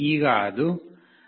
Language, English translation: Kannada, Now, it is coming to 0